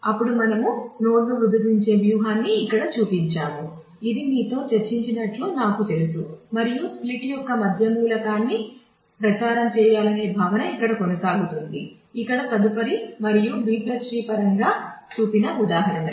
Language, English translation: Telugu, Then we have shown here the strategy to splitting the node, which I have just you know discussed and the same notion of propagating the middle element of the split continues here go to next and here the examples shown in terms of the B + tree